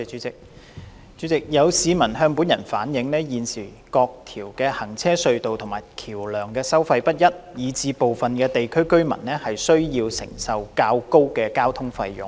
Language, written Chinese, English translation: Cantonese, 主席，有市民向本人反映，現時各條行車隧道及橋樑的收費不一，以致部分地區的居民需要承擔較高的交通費用。, President some members of the public have relayed to me that as the existing tolls of the various road tunnels and bridges vary residents in some districts need to bear higher transport fares